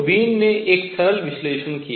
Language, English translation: Hindi, So, Wien did a simple analysis